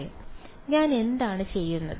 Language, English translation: Malayalam, L right what am I doing